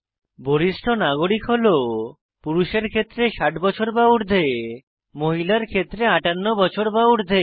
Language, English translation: Bengali, Men it is 60 years and above, for women it is 58 years and above